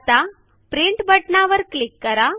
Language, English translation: Marathi, Now click on the Print button